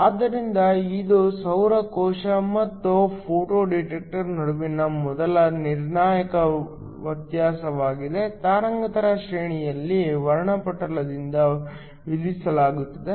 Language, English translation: Kannada, So, That is the first crucial difference between a solar cell and a photo detector, the wavelength range is imposed by the spectrum